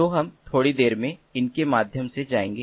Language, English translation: Hindi, so we will go through it in a short while